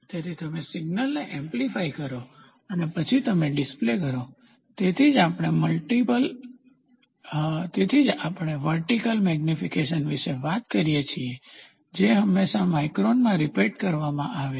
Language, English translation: Gujarati, So, you amplify the signal and then you display, so that is why we talk about vertical magnification which will always be reported in terms of microns